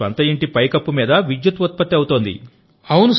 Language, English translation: Telugu, Electricity is being generated on the roof of their own houses